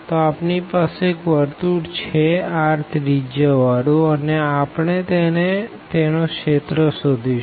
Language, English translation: Gujarati, So, we have a circle of radius a, and we want to compute the area